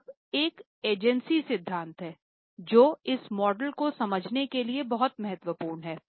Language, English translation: Hindi, Now there is an agency theory which is very important for understand this model